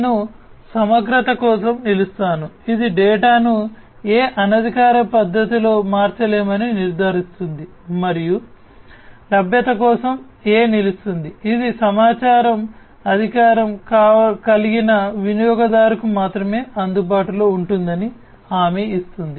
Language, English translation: Telugu, I stands for integrity which ensures that the data cannot be changed in any unauthorized manner and A stands for availability which guarantees that the information must be available only to the authorized user